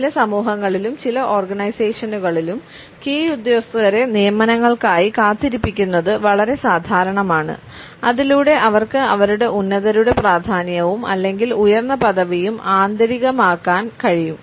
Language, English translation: Malayalam, It is very common in certain societies as well as in certain organizations to make the subordinates wait for the appointments so that they can internalize the significance and importance or the higher rank of their superior